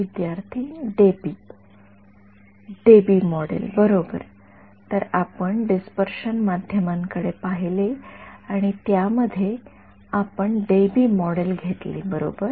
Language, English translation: Marathi, Debye Debye model right; so, we looked at dispersive media and in that we took the Debye model right